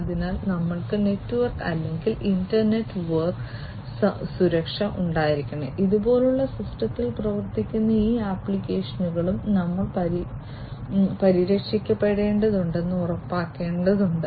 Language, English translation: Malayalam, So, we need to have network or inter network security we also need to ensure that these applications that are running on the system like these ones these also will we will need to be protected